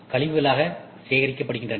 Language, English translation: Tamil, So, these are waste which is generated